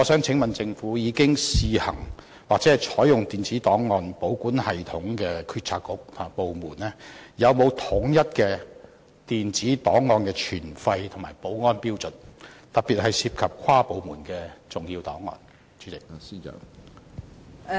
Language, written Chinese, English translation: Cantonese, 請問政府，已經試行或採用電子檔案保管系統的政策局和部門有否統一的電子檔案存廢和保安標準，特別是涉及跨部門的重要檔案？, May I ask the Government whether there are uniform standards for the disposal and security of electronic records in BDs that are using ERKS on a trial basis or have adopted ERKS especially when cross - department records are involved?